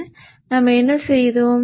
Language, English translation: Tamil, So what is it that we have done